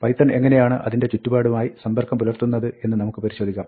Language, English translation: Malayalam, Let us see, how python interacts with its environment